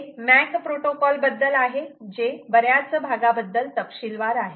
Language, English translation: Marathi, this is about a mac protocol which details several parts